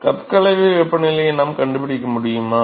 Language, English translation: Tamil, So, can we find the cup mixing temperature